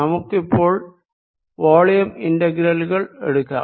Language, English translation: Malayalam, let us now take volume integrals